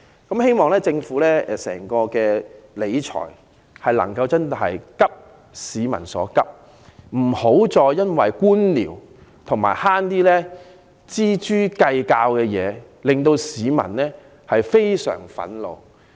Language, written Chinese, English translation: Cantonese, 我希望政府理財時確能"急市民所急"，不要再因為官僚而錙銖計較，因為這會令市民非常憤怒。, We urge the Government to address the pressing need of the people and stop haggling over pennies for its bureaucracy will antagonize the people